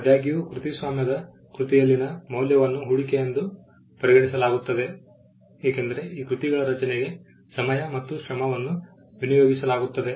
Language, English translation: Kannada, However, the value in a copyrighted work is regarded as an investment because, there is some amount of effort in time and material that goes into creation of these works